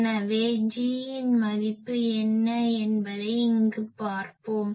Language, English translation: Tamil, So, G find out G from here so, what will be the value of G